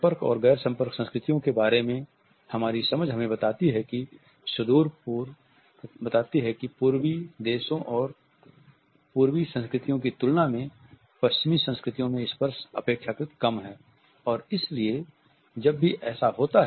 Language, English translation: Hindi, Our understanding of contact and non contact cultures tells us that in comparison to Eastern countries and Eastern cultures touching is relatively scarce in the Western cultures